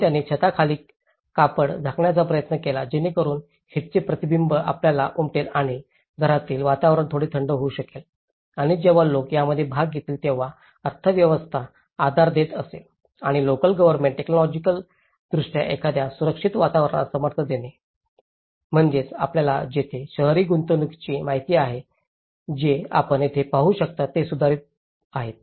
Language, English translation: Marathi, So, they try to cover a cloth under the roof so that it can you know reflect the heat and it can make the indoor environment a little cooler and when people are participant in this, when the economy is giving support and the local government is technically giving support for a safer environments, so that is where you know the urban investments what you can see here today is they are improving